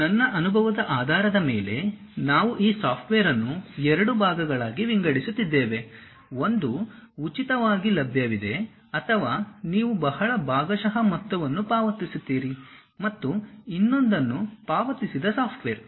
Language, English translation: Kannada, Based on my experience, we are dividing these softwares into two parts, one freely available or you pay a very partial amount and other one is paid software